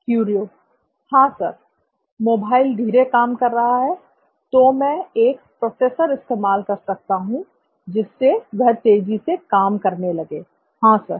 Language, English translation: Hindi, Yes, sir, mobile running slow, so I can use a processor which will make it run faster, yes sir